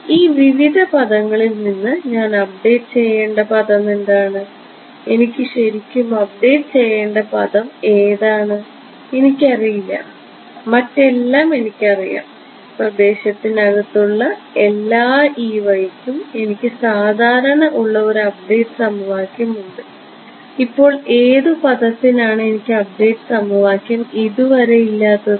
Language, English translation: Malayalam, What is the term that I need to update from these various terms which is the term that I really need to update which I do not know I mean everything else I know for every E y inside the domain I have my usual FDTD update equation for what term I do I do not have an update equation so far